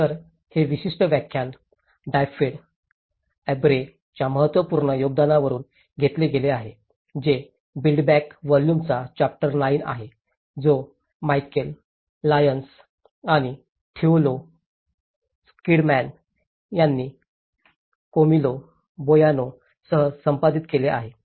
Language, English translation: Marathi, So, this particular lecture has been derived from one of the important contribution from Dyfed Aubrey, which is the chapter 9 in build back better volume, which has been edited by Michal Lyons and Theo Schilderman with Camillo Boano